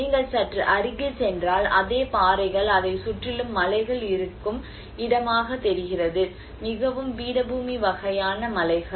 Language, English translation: Tamil, If you go little closer, the same cliffs, it looks like this where there is mountains around it, a very plateau sort of mountains